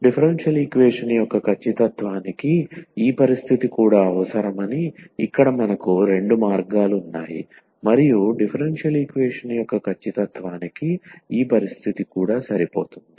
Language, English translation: Telugu, So, we have both ways here that this condition is also necessary for the exactness of a differential equation and this condition is also sufficient for exactness of a differential equation